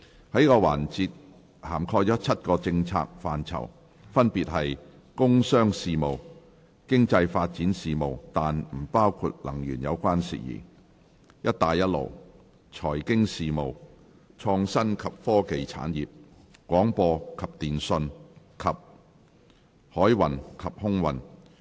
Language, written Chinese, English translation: Cantonese, 這個環節涵蓋7個政策範疇，分別是：工商事務；經濟發展事務，但不包括能源有關事宜；"一帶一路"；財經事務；創新及科技產業；廣播及電訊；及海運及空運。, This session covers the following seven policy areas Commerce and Industry; Economic Development ; Belt and Road; Financial Affairs; Innovation and Technology Industries; Broadcasting and Telecommunications; and Maritime and Aviation